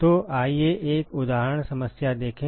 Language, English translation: Hindi, So, let us look at an example problem